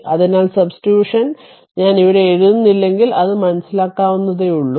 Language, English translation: Malayalam, So, upon substitution if I am not writing here it is understandable